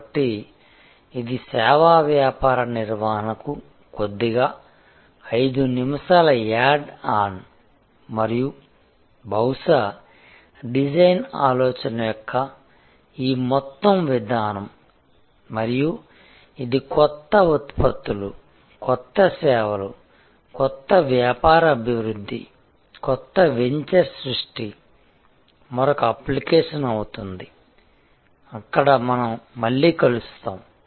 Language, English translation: Telugu, So, this is a little 5 minutes add on to service business management and perhaps, this whole approach of design thinking and it is application to new products, new service, new business development, new venture creation will be another course, where we will meet again